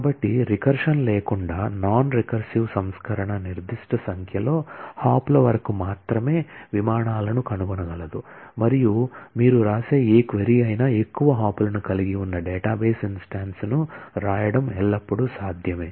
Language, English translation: Telugu, So, the recursive is very powerful in the sense that without recursion a non recursive version can only find flights up to a certain number of hops and whatever ma query you write it is always possible to write out a database instance which will have more hops and your query will necessarily fail